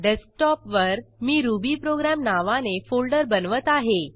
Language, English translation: Marathi, On Desktop, I will create a folder named rubyprogram